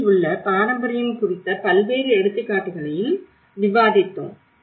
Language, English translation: Tamil, We did also discussed about various examples on heritage at risk